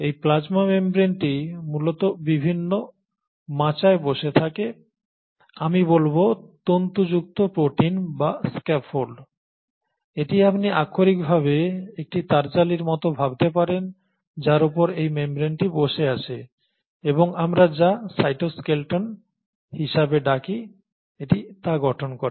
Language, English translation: Bengali, And this plasma membrane essentially sits on a scaffold of various, I would say, fibrous proteins or scaffold its you can literally visualize it like a meshwork of wires on which this membrane is sitting, and this forms what we call as the cytoskeleton